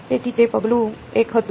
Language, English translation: Gujarati, So, that was step 1